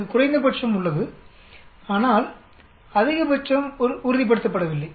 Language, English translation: Tamil, It has a minimum, but the maximum is not fixed